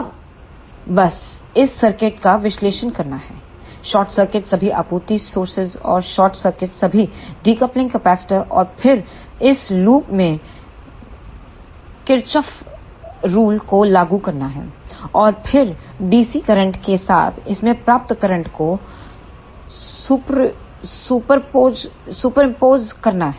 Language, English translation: Hindi, Now, just to do the analysis of this circuit short circuit all the supply sources and short circuit all the decoupling capacitors and then apply the Kirchhoff law in this loop, and then superimpose the current achieved in this with the DC current